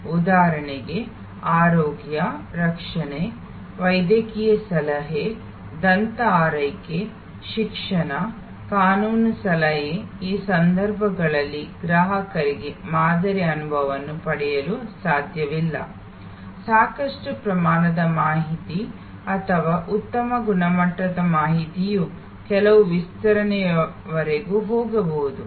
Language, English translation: Kannada, For example, health care, medical advice, dental care, education, legal advice, in this cases it is not possible for the customer to get a sample experience, even enough amount of information or good quality information can go up to certain extend